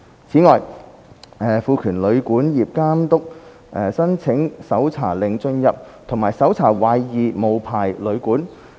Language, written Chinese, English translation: Cantonese, 此外，監督亦獲賦權申請搜查令進入和搜查懷疑無牌旅館。, Besides the Authority will also be empowered to apply to the court for a search warrant to enter and search a suspected unlicensed hotel or guesthouse